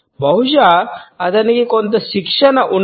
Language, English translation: Telugu, Perhaps because he is has some training